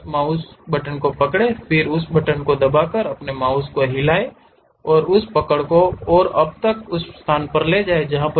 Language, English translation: Hindi, Hold that mouse, then move your mouse by holding that button press and hold that and now move it to one location